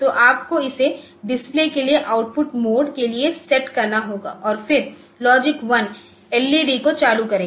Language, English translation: Hindi, So, you have to set it for output mode for display and then also logic one will turn on an LED